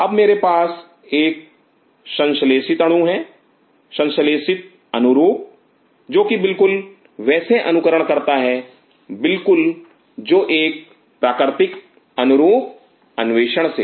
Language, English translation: Hindi, Now I have a synthetic molecule a synthetic analogue which exactly mimics a natural analogue with discovery